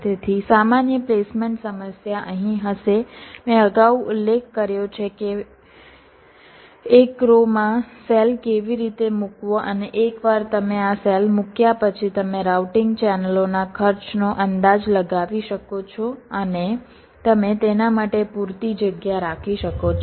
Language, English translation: Gujarati, has i mention again earlier how to place a cell into one of the rows and once you are place this cells you can estimates the routing channels cost and you can keep adequate space for that